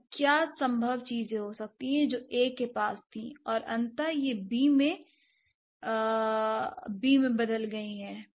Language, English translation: Hindi, So, what could be the possible things that A had and eventually it has turned into B